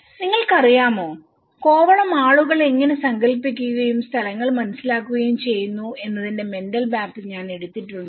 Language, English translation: Malayalam, You know, Kovalam I have taken the mental maps of how people imagined and understand the places